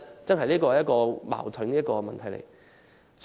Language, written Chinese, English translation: Cantonese, 這確實是一個矛盾的問題。, This is indeed a contradictory issue